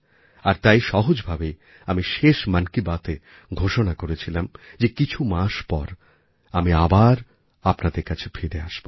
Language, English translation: Bengali, And that is why in the last episode of 'Mann Ki Baat', then, I effortlessly said that I would be back after a few months